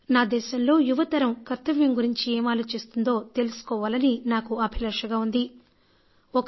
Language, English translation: Telugu, I would like to know what my young generation thinks about their duties